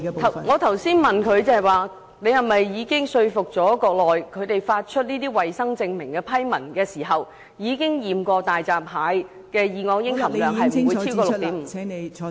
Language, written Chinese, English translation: Cantonese, 我剛才問她是否已說服內地，在批出衞生證明的批文前進行檢測，以確保大閘蟹的二噁英含量不超過 6.5 皮克？, Just now I asked if she has persuaded the Mainland to test the hairy crabs before granting approval and issuing health certificates so as to ensure that the level of dioxins does not exceed 6.5 pg?